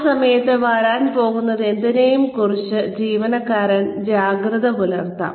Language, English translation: Malayalam, At which point, the employee can be alert to, whatever is about to come